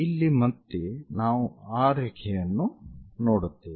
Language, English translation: Kannada, Here again, one will see that line